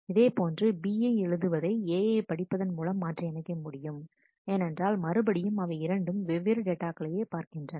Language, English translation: Tamil, Similarly, write B then can be swapped with read A, because they are again referring to different data items